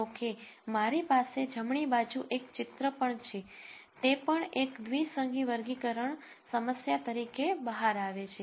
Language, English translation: Gujarati, However, I also have a picture on the right hand side this also turns out to be a binary classification problem